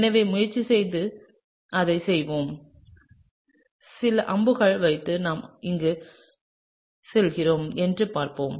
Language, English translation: Tamil, So, let’s try and do that, let’s put some arrows and see where we are headed